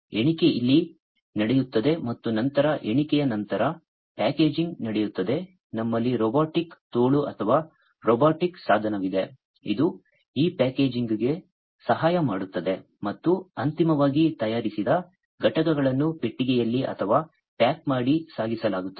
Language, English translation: Kannada, So, counting will take place here and then after counting, the packaging it takes place here and as you can see over here, we have a robotic arm or robotic device, which is helping in this packaging and finally, the units that are manufactured are going to be boxed or packaged and transported